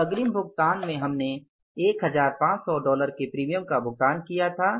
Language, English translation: Hindi, Those advance payments we had paid the premium of $1,500 but actually premium due was $375